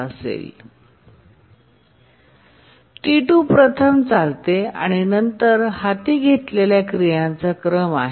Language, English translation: Marathi, Now T2 runs first and then these are the sequence of operations they undertake